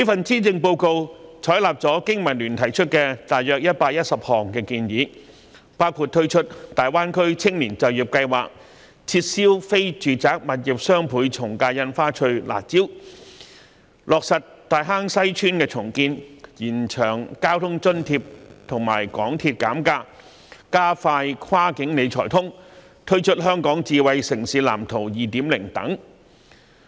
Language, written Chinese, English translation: Cantonese, 施政報告採納了香港經濟民生聯盟提出的約110項建議，包括推出大灣區青年就業計劃、撤銷非住宅物業雙倍從價印花稅的"辣招"、落實大坑西邨重建、延長交通津貼及港鐵減價安排、加快落實"跨境理財通"、推出《香港智慧城市藍圖 2.0》等。, The Policy Address has adopted about 110 suggestions made by the Business and Professionals Alliance for Hong Kong BPA including launching the Greater Bay Area Youth Employment Scheme abolishing the harsh measure of the Doubled Ad Valorem Stamp Duty on non - residential property transactions taking forward the redevelopment plan of Tai Hang Sai Estate extending the measures of providing public transport fare subsidy and MTR fare discount expediting the implementation of the cross - boundary wealth management connect scheme releasing the Smart City Blueprint for Hong Kong 2.0 etc